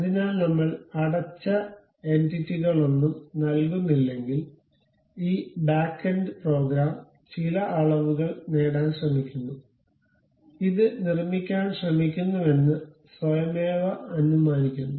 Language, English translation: Malayalam, So, if you are not giving any closed entities, it try to have this back end program which automatically assumes certain dimensions try to construct this